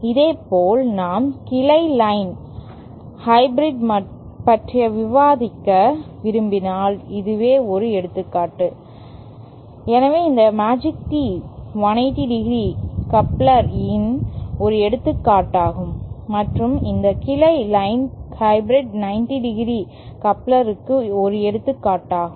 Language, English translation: Tamil, Similarly if we would like to discuss the branch line hybrid, so that is an example of a, so this magic tee was an example of a, it was an example of a 180 ¡ coupler and this branch line hybrid coupler is an example of a 90¡ coupler